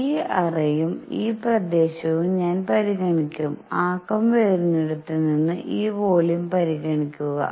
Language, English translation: Malayalam, I will consider this cavity and in this area; consider this volume from this side from where the momentum is coming in